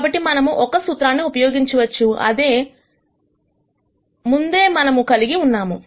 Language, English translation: Telugu, So, we can use a formula that we had before